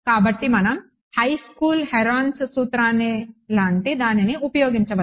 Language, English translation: Telugu, So, we can use whatever recent high school Heron’s formula whatever it is right